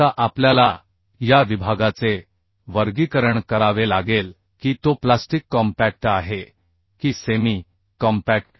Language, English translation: Marathi, Now we have to classify the section, whether it is plastic, compact or semi compact